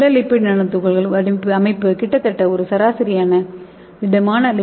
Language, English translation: Tamil, And this solid lipid nano particles will be in the size of between 50 to 100 nanometer